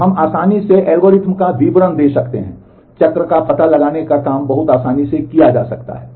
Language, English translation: Hindi, So, we can easily these are details of the algorithms, cycle detection can be done very easily